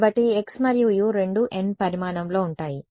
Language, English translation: Telugu, So, x and u both are of size n